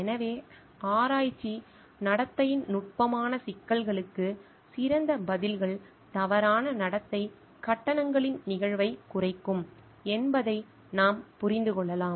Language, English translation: Tamil, So, we can understand that better responses to subtler problems of research conduct can reduce the incidence of misconduct charges